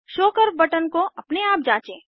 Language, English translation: Hindi, Explore Show curve button on your own